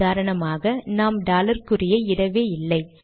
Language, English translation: Tamil, For example, we did not enter the dollar sign at all